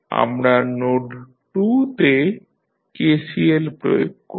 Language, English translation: Bengali, We apply KCL at node 2